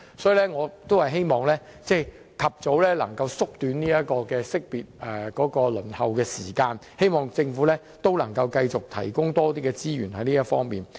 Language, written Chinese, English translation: Cantonese, 所以，我希望能夠縮短識別的輪候時間，希望政府在這方面能夠繼續提供更多資源。, Hence I hope that the waiting time for identification service can be shortened and the Government can continue to provide more resources in this aspect